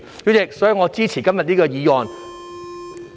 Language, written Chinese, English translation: Cantonese, 代理主席，我支持今天這項議案。, Deputy President I support the motion today